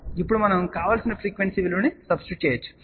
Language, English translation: Telugu, So, we can now, substitute the value of the desired frequency